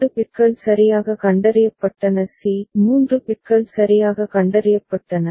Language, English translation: Tamil, So, that is b; 2 bits detected correctly c; 3 bits detected correctly d ok